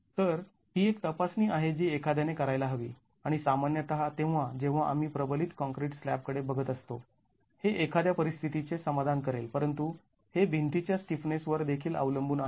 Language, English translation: Marathi, So, this is the check that one would make and typically when we are looking at reinforced concrete slabs it would satisfy this sort of a situation but it also depends on the stiffnesses of the walls